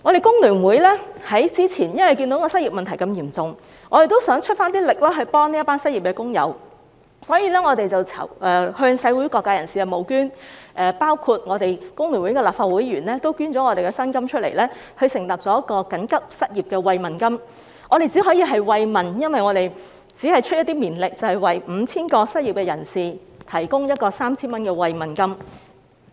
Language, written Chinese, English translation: Cantonese, 工聯會早前看到失業問題嚴重，也想出一點力協助這群失業的工友，因此我們向社會各界人士募捐，包括我們工聯會的立法會議員也捐出他們的薪金，設立了一項緊急失業慰問金，我們只可以慰問，因為我們只是出一點綿力，為 5,000 名失業人士提供 3,000 元慰問金。, Some time ago FTU saw that the unemployment problem was serious and wanted to do something to help the unemployed workers . For this reason we raised funds from the various sectors of the community including the salaries donated by Members of the Legislative Council of FTU and set up an emergency unemployment care scheme . We can merely express our care in a small way by offering 3,000 caring grant to 5 000 unemployed workers